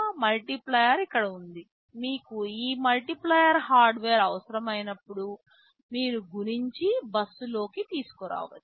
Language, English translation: Telugu, The multiplier is sitting here; whenever you need this multiplier hardware you can multiply and bring it to the, a bus